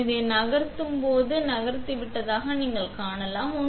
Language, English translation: Tamil, So, when I move this you can see that this has been moved